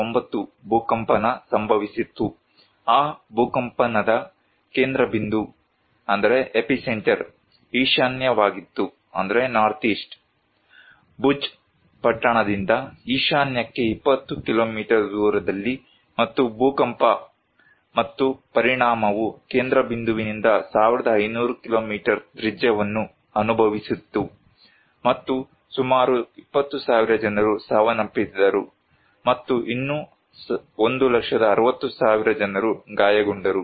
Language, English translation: Kannada, 9 Richter scale, according to Indian Meteorological Department, the epicenter of that earthquake was northeast; 20 kilometres northeast of the Bhuj town, and the tremor and the effect was felt 1500 kilometer radius from the epicenter, and approximately 20,000 people were died and another 1, 60,000 people were injured